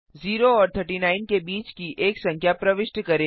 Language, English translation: Hindi, Press Enter Enter a number between 0 and 39